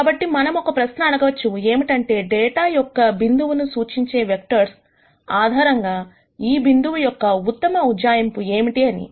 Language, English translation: Telugu, So, we might ask the question as to what is the best approximation for this data point based on the vectors that I want to represent this data point with